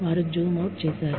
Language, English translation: Telugu, They zoomed out